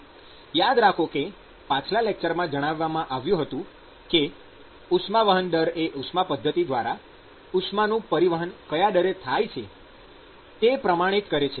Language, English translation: Gujarati, So, remember in the last lecture I mentioned that heat transfer rate is the quantifying description of the transport of heat via conduction